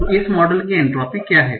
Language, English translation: Hindi, So what is the entropy of this model